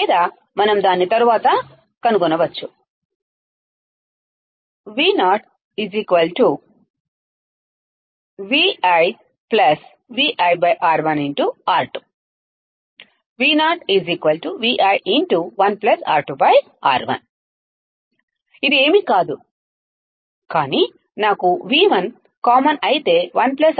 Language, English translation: Telugu, This is nothing but if I have V1 common then 1 plus R2 by R1